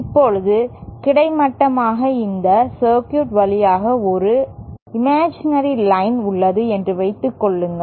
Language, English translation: Tamil, Now assume that there is an imaginary line which is cutting through these circuits along a horizontally